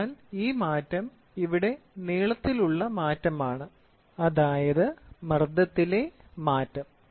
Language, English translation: Malayalam, So, this change is change in length here, ok, change in pressure